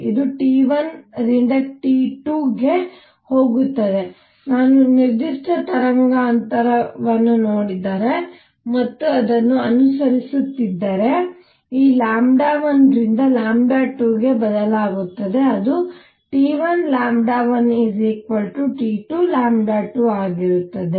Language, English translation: Kannada, It goes from T 1 to T 2, if I look at a particular wavelength and keep following it, this lambda changes from lambda 1 to lambda 2; it will be such that T 1 lambda 1 is equal to T 2 lambda 2